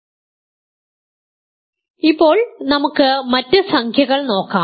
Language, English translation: Malayalam, So, now, let us look at other integers